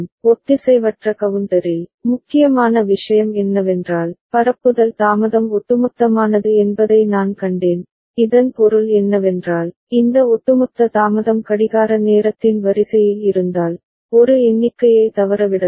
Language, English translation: Tamil, And in asynchronous counter, important thing is that you have seen the propagation delay is cumulative for which I mean, if this cumulative delay is of the order of the clock time period, then a count can get missed